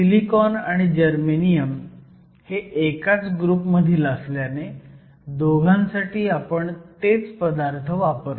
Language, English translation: Marathi, Since, both silicon and germanium belong to the same group, we essentially use the same elements